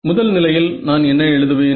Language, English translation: Tamil, So, the first case, what will I write